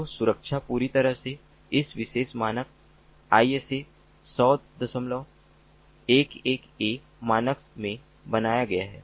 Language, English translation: Hindi, so security is fully been built into this particular standard, the isa hundred point eleven, a standard